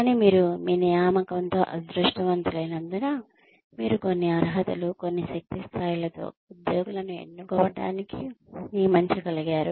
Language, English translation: Telugu, But, because you have been lucky with your hiring, you have been able to hire, to select employees with certain qualifications, certain energy levels